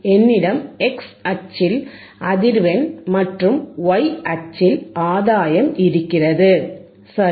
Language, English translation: Tamil, I have the frequency on the y axis, sorry x axis and gain on the y axis, right